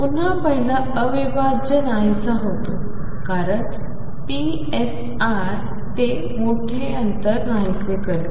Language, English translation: Marathi, Again the first integral vanishes because psi vanish that large distances